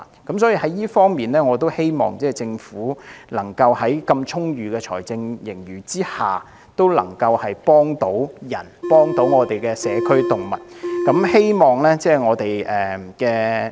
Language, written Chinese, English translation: Cantonese, 就這方面，我希望政府在擁有這麼充裕的財政盈餘下，幫助人和我們的社區動物。, In this connection I hope that the Government can help the people and our community animals with its plentiful fiscal reserves